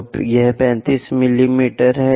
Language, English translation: Hindi, So, it is 35 mm